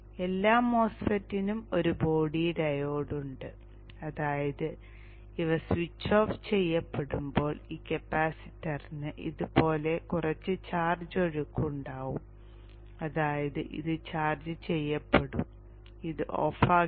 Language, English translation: Malayalam, Every MOSFET has a body diode which means that when this switches off this capacitor can have some charge flow like this and back here which means this will get charged and this will not turn off